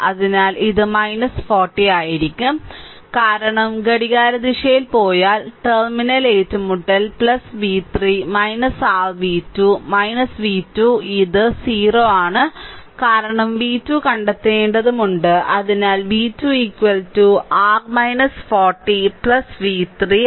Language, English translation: Malayalam, So, it will be minus 40 because it is if you go clock wise, minus terminal encountering plus plus v 3 minus your v 2 minus v 2 is equal to 0 right because we have to find out v 2 therefore v 2 is equal to your minus 40 plus v 3 right